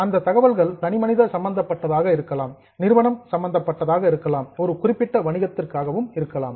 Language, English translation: Tamil, It can be for individual, it can be for organization, it can be for a particular business and so on